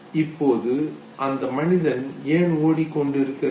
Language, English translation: Tamil, Now, why was this man running